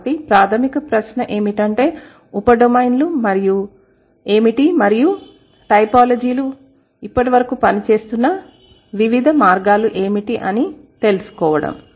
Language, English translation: Telugu, So, the, what is the primary question, what are the, what are the subdomains and how, what are the different ways by which the typologies have been working so far